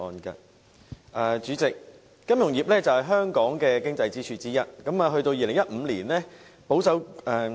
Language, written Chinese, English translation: Cantonese, 代理主席，金融業是香港的經濟支柱之一。, Deputy President the financial industry is an economic pillar of Hong Kong